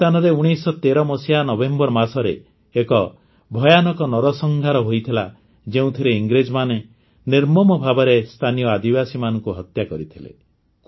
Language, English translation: Odia, There was a terrible massacre here in November 1913, in which the British brutally murdered the local tribals